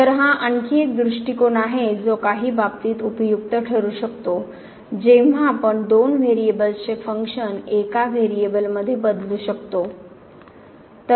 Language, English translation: Marathi, So, again this is another approach which could be helpful in some cases when we can change the functions of two variables to one variable